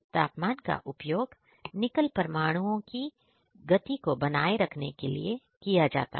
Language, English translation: Hindi, Also, the temperature is used to maintain the speed of Nickel atoms